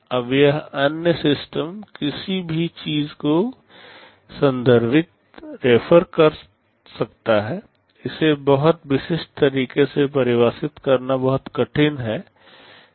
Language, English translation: Hindi, Now this “other systems” can refer to anything, it is very hard to define in a very specific way